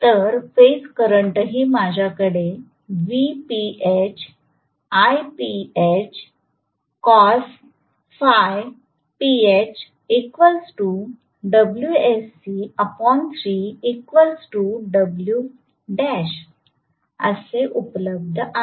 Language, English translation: Marathi, So, phase current is also available with me